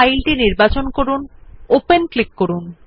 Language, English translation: Bengali, Select the file and click on Open